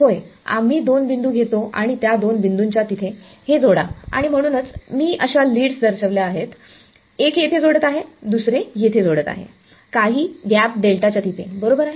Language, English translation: Marathi, Yeah, we take two points and across those two points you connect this and so, that is why that is I have shown the leads like this one is connecting here the other is connecting over here right across some gap delta